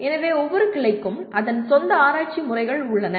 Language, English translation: Tamil, So each branch has its own research methods